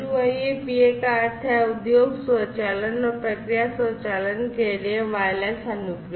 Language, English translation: Hindi, So, WIA PA stands for Wireless Applications for Industry Automation and Process Automation